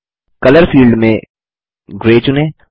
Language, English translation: Hindi, In the Color field, select Gray